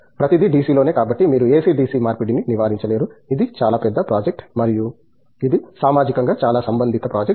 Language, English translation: Telugu, everything on DC so that you don’t, you can avoid the ac DC conversion lost, that is a very big project and that is of highly socially relevant project also